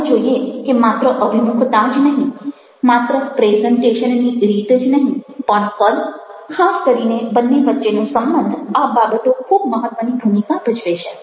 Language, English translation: Gujarati, lets see that not only the orientation, not only the manner of presentation, but the size, the specificity, the relationship between the two